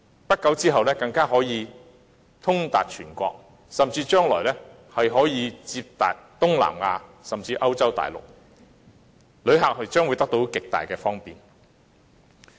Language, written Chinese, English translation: Cantonese, 不久之後，高鐵就可以通達全國；將來甚至可以接達東南亞甚至歐洲大陸，旅客將會得到極大的方便。, XRL will soon be connected across the whole country and it may even be connected to Southeast Asia and Europe providing great convenience to passengers